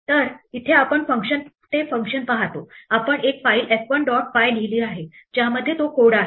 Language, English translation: Marathi, So here we see that function, we have written a file f1 dot py which contains exactly that code